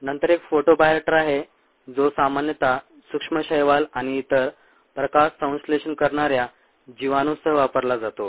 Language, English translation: Marathi, then also a photo bioreactor that's typically used with micro algae and other photosynthetic organisms